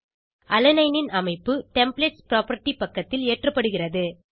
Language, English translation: Tamil, Structure of Alanine is loaded onto the Templates property page